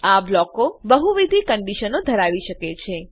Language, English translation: Gujarati, These blocks can have multiple conditions